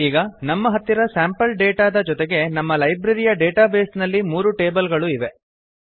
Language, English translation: Kannada, Now, we have the three tables in our Library database, with sample data also